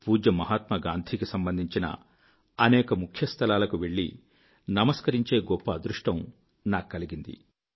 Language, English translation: Telugu, I have been extremely fortunate to have been blessed with the opportunity to visit a number of significant places associated with revered Mahatma Gandhi and pay my homage